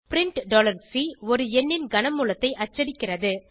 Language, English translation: Tamil, print $C prints cube root of a number